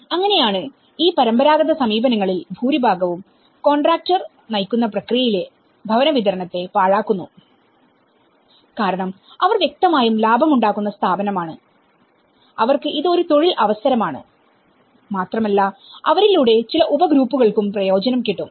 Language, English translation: Malayalam, And that is how most of these traditional approaches the housing delivery is wasted upon the contractor driven process because they are obviously a profit making body and for them also it is an employment opportunity and through them, there is also some subgroups which will also benefit from them